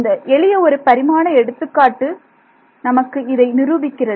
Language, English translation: Tamil, Simple 1D example gives us this proof right